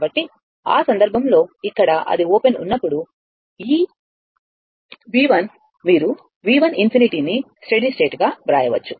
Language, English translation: Telugu, So, in that case, here as it open for that, this V 1 you can write as a V 1 infinity steady state